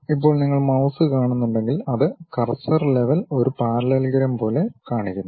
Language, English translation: Malayalam, Now, if you are seeing even the mouse it itself the cursor level it shows something like a parallelogram